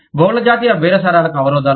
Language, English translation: Telugu, Obstacles to multi national bargaining